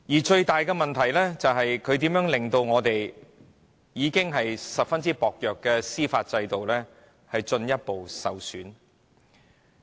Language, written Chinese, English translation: Cantonese, 最大的問題是，她令到香港已然非常薄弱的司法制度進一步受損。, The biggest problem is that she has done further harm to Kong Kongs judicial system which is already very fragile